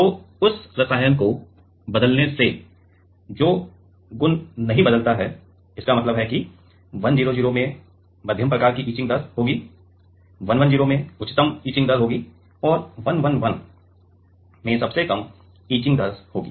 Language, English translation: Hindi, So, changing the chemical that property does not change; that means, that the 1 0 0 will have like the medium kind of etching rate 1 1 0 will have highest etching rate and 1 1 1 will have the lowest etching rate